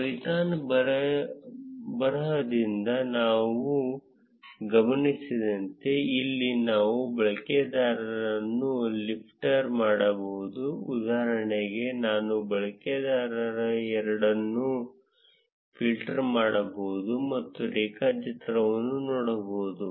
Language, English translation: Kannada, As we observed from the python script, similarly, here we can filter out the users for instance I can filter out the user 2, and see the graph